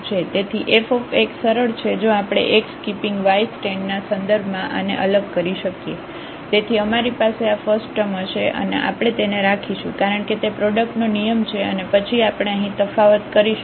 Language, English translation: Gujarati, So, fx is simply if we differentiate this with respect to x keeping y constant, so we will have this first term let us keep it as it is it is a product rule and then here we will differentiate